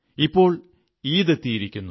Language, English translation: Malayalam, And now the festival of Eid is here